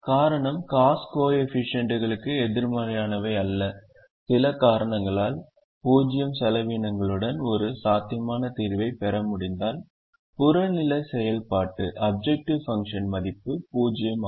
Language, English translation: Tamil, the reason is, all the cost coefficients are non negative and if, for some reason, we are able to get a feasible solution with zero cost, then the objective function value is zero